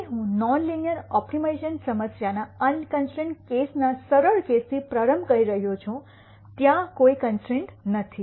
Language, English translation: Gujarati, So, I am going to start with the simple case of a non linear optimization problem unconstrained case that is there are no constraints